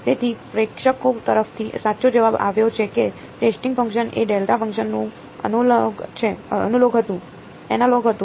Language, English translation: Gujarati, So, the correct answer has come from the audience that the testing function was the analogue of a delta function ok